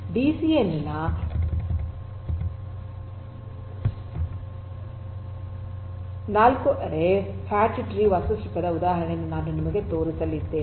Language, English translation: Kannada, So, I am going to show you an example of a 4 ary fat tree architecture of DCN